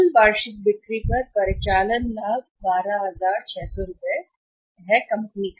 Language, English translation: Hindi, This much of the operating profit on the total annual sales is available to the company